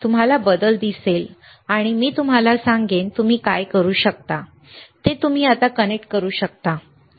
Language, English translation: Marathi, You will see the change and I will then tell you, what is that you can you can connect it now, right